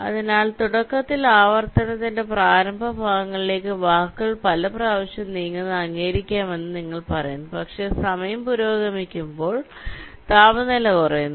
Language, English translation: Malayalam, so the idea is that there is initially, towards the initial parts of the iteration you are saying that you may accept words moves many a time, but as time progresses the temperature drops